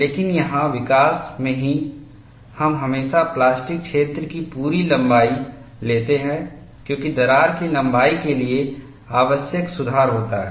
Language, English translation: Hindi, But here in the development itself, we always take the complete length of the plastic zone as a correction required for the crack length